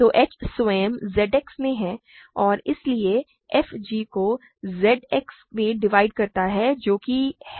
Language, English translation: Hindi, So, h itself is in Z X and hence f divides g in Z X that is all